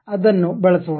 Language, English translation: Kannada, Let us use that